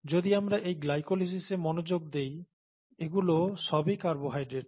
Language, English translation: Bengali, If we look at this glycolysis, focus on glycolysis, all these are carbohydrates, fine